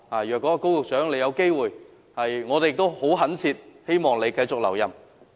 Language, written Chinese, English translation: Cantonese, 如有機會，我們懇切希望高局長能夠留任。, If the opportunity arises we earnestly hope that Secretary Dr KO can continue to stay in his post